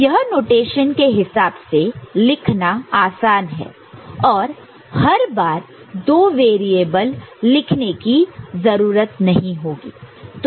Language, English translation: Hindi, So, it is easier to for notation purposes also every time we do not need to write two variables